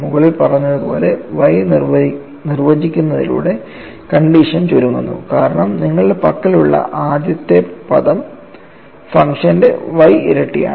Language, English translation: Malayalam, By defining Y as above, the condition reduces to because the first term what you have is y times the function comes